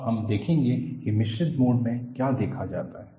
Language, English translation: Hindi, Now, we would see what is seen in a mixed mode